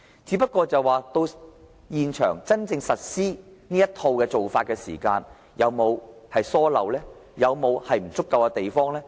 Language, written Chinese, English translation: Cantonese, 只是，現場真正施行這套做法時，有沒有疏漏？有沒有不足夠的地方？, But then will there be inadequacies or slips when this set of practice is actually implemented on the spot?